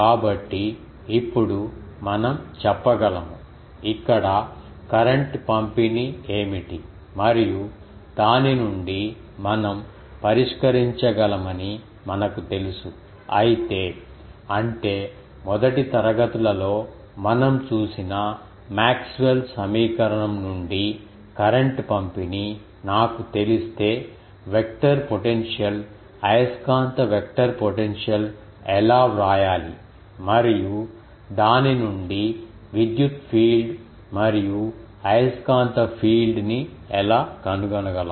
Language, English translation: Telugu, So, we can now say that, the we know that what is the current distribution here and from that we can solve, but if; that means, if I know the current distribution the from the Maxwell's equation we have seen in the first classes, that how to write the vector potential, magnetic vector potential, and from that how we can find the electric field and magnetic field